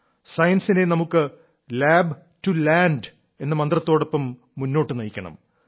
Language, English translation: Malayalam, We have to move science forward with the mantra of 'Lab to Land'